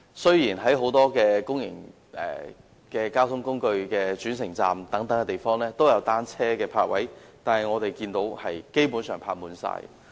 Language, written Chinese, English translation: Cantonese, 雖然在很多公共交通工具的轉乘站也設有單車泊位，但我們看到也是經常泊滿的。, While bicycle parking spaces are provided at many public transport interchanges we can see that these parking spaces are always fully occupied